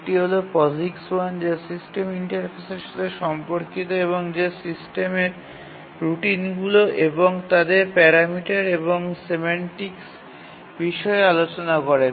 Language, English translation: Bengali, One is POGICs 1 which deals with system interface, that is what are the system routines and what are their parameters and the semantics what it does